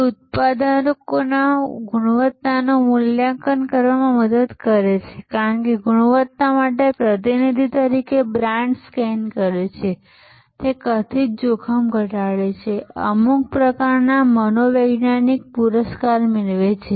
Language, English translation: Gujarati, It helps to evaluate quality of products, because brand scans as a proxy for quality, it reduces perceived risk and create some kind of psychological reward